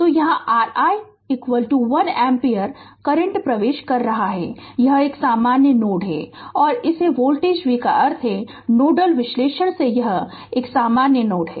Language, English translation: Hindi, So, here your i is equal to 1 ampere current is entering this is a common node and this voltage V means from nodal analysis this is a common node